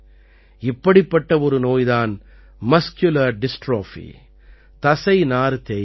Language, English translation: Tamil, One such disease is Muscular Dystrophy